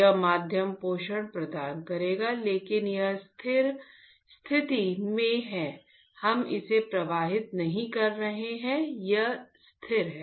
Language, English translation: Hindi, This media will provide the nutrition, but it is in a stable condition we are not flowing it, it is stagnant